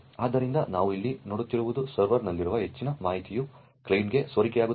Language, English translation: Kannada, So, what we see over here is that a lot of information present in the server gets leaked to the client